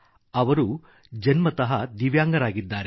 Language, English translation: Kannada, He is a Divyang by birth